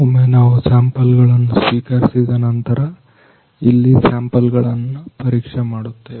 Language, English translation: Kannada, So, once we receive these samples, we are checking these samples over here